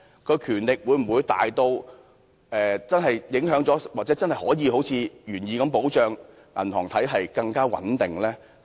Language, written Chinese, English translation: Cantonese, 該權力會否大至真的影響了或真的可以好像原意般保障銀行體系更穩定？, Will those powers be so great that they can affect the stability of the banking system or will they truly serve to safeguard it further as intended by the Bill?